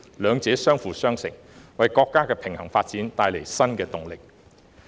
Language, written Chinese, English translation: Cantonese, 兩者相輔相成，為國家的平衡發展帶來新動力。, The two complement each other giving new impetus to the countrys balanced development